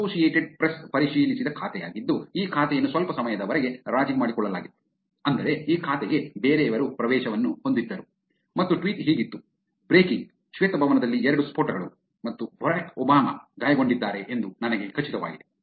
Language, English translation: Kannada, Compromised account, where The Associated Press is a verified account and this account was compromised for sometime which is, somebody else had access to this account and the tweet was, Breaking: Two Explosions in the White House and Barack Obama is injured’ I am sure you can all agree that the effect this tweet must have had